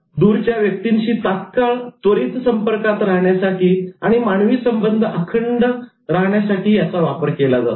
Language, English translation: Marathi, It's instantaneous distance connection and it can keep human relations intact